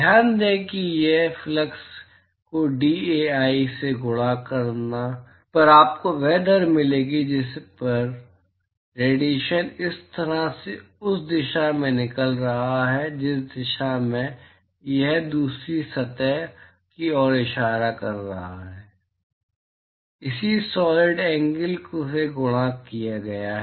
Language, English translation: Hindi, Note that this is flux right multiplied by dAi will give you the rate at which the radiation is leaving from this surface in the direction in which it is pointing to the second surface multiplied by the corresponding solid angle